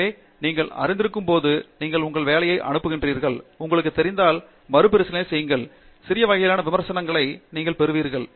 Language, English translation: Tamil, So, while you know, you send your work out and you get you know, peer review and you are likely to most likely to get some kind of critical comment